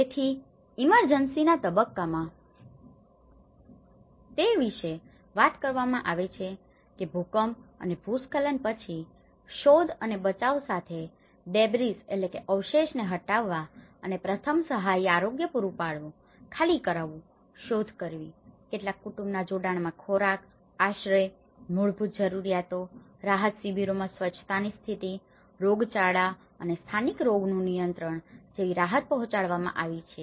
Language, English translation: Gujarati, So, in the emergency phase it talks about because after earthquake and landslides removing the debris with search and rescue and the first aids providing health, evacuations, search, some family reunifications have been taken up a relief delivery like food, shelter, the basic needs, the hygiene conditions, the epidemic and endemic disease controls in the relief camps